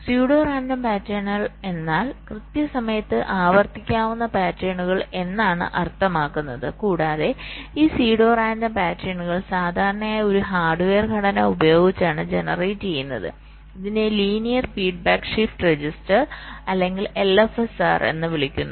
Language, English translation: Malayalam, pseudo random pattern means patterns which can be repeated in time, and this pseudo random patterns are typically generated using a hardware structure which is called linear feedback shift register or l f s r